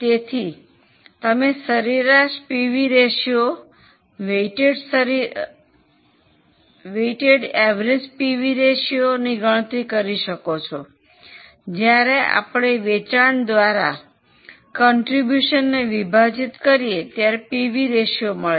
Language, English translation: Gujarati, So, if you calculate the average PV ratio, weighted average PV ratio, what we have done is contribution upon sales is a PV ratio